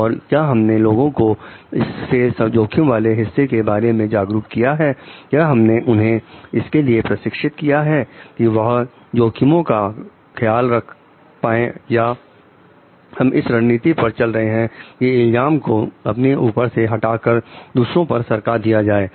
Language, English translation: Hindi, And have we made people aware of the risk part have we trained them enough to take care of the risks or we are taking the strategy just to pass out the blame from other from us